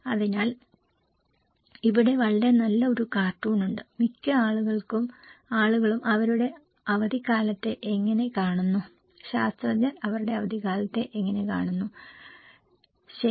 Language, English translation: Malayalam, So, here is a very good cartoon, that how most people view their vacations and how scientists view their vacations, okay